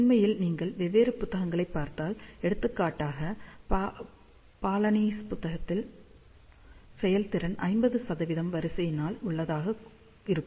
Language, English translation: Tamil, In fact, if you look at different books, for example in the Balanis book, they talk about efficiency of the order of 50 percent